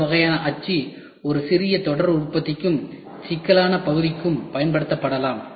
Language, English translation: Tamil, This kind of mold can be used for a small series production and for complex parts also